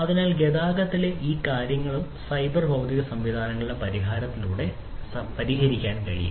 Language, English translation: Malayalam, So, all these things you know in transportation could be you know addressed with the help of cyber physical systems